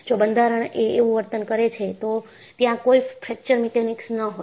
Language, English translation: Gujarati, If the structure behaves like that, there would not have been any Fracture Mechanics